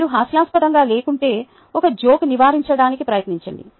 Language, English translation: Telugu, if you are not of the humorous kind, try to avoid a joke